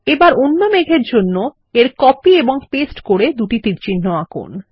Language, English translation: Bengali, Now lets copy and paste two arrows to the other cloud